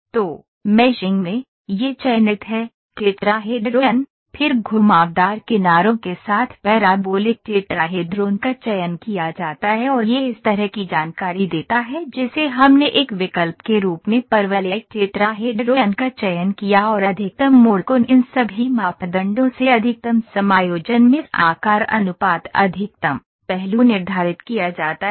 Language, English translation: Hindi, So, in meshing, this is selected, tetrahedron, then parabolic tetrahedron with curved edges is selected and this gives this kind of information we selected parabolic tetrahedron as an option and the maximum turn angle all these parameters are set maximum adjustment mesh size ratio maximum aspect ratio these are sometimes default and sometimes it is set